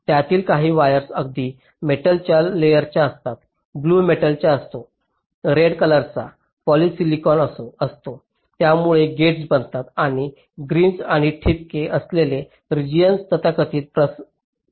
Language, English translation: Marathi, the blue are the metal, the red are the poly silicon which forms the gates, and the greens and the dotted regions are the so called diffusion regions